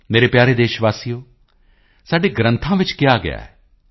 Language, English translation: Punjabi, My dear countrymen, it has been told in our epics